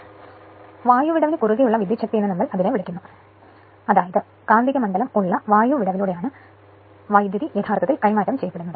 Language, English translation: Malayalam, So, that is why we call power across air gap; that means, power actually is what you call transferred right through the air gap the where you have the magnetic field right